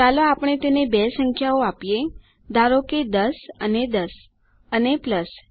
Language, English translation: Gujarati, Lets us just give it two numbers say 10 and 10 and a plus